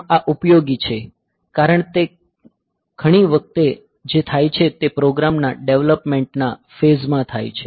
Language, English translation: Gujarati, So, this is useful because many times what happens is that in the development phase of the program